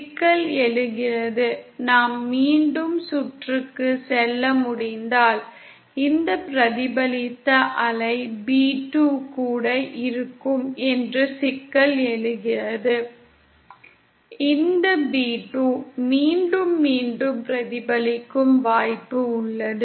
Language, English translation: Tamil, Problem arises, if we can go back to the circuit once again, the problem arises that this reflected wave b2 will also, there’s a possibility that this b2 will also be reflected back again